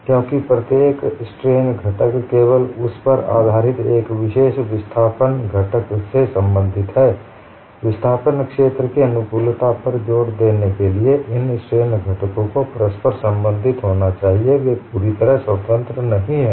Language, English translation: Hindi, Because each strain component is related to a particular displacement component based on that only, to emphasize compatibility of displacement field, these strain components have to be inter related; they are not totally independent